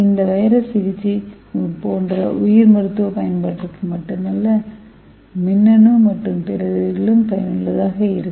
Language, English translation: Tamil, So this virus could be useful for not only for bio medical application like therapeutic, it can also have other applications in electronic and other field